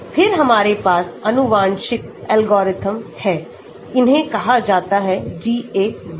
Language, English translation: Hindi, Then we have the genetic algorithm, these are called a class GA